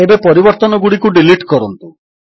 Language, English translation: Odia, Now, let us delete the changes made